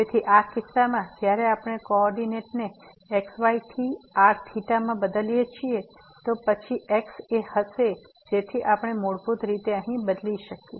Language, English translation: Gujarati, So, in this case when we change the coordinates from to theta, then will be a so we basically substitute here